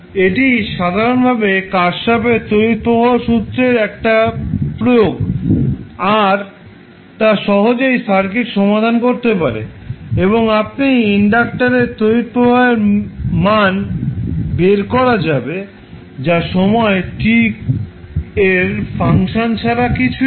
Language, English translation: Bengali, So, this would be simply the kirchhoff’s current law application in the circuit and you can simplify and you can find the value of il which would be nothing but function of time t